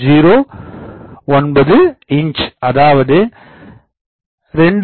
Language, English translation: Tamil, 09 inch that is 2